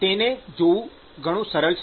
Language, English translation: Gujarati, It is very simple to see this